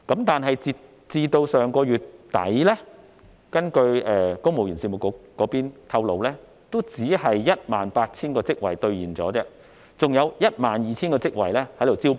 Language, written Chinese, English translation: Cantonese, 但是，截至上月底，根據公務員事務局透露，只有 18,000 個職位兌現，還有 12,000 個職位正在招聘。, At the end of last month however the Civil Service Bureau disclosed that only 18 000 posts had been filled and the remaining 12 000 posts were still under recruitment